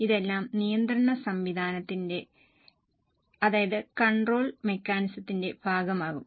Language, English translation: Malayalam, All this will be a part of control mechanism